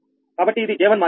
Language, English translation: Telugu, so this is the j one matrix